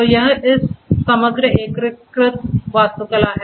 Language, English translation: Hindi, So, this is this overall integrated architecture